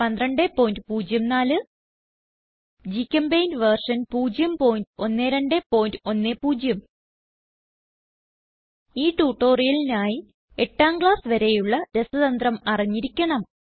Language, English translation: Malayalam, 12.04 GChemPaint version 0.12.10 To follow this tutorial you should have knowledge of, Basics of Chemistry upto VIII standard